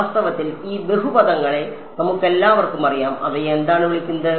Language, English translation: Malayalam, In fact, these polynomials we all know what are they called